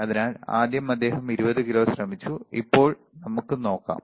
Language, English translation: Malayalam, So, the first thing he has tried 20 kilo ok, let us see now